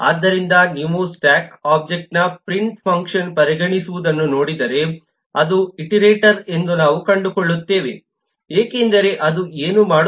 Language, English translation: Kannada, so if you just look at, consider the print function in the stack object, we will find that it is a iterator